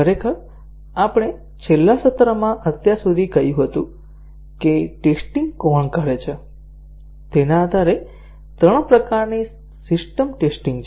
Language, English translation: Gujarati, Actually we had said so far, in the last session that there are three types of system testing, depending on who carries out the testing